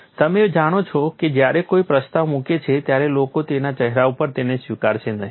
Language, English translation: Gujarati, You know when somebody proposes people will not accept it on the face of it